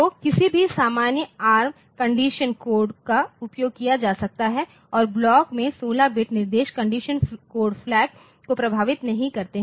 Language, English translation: Hindi, So, any normal ARM condition code can be used and 16 bit instructions in block do not affect condition code flags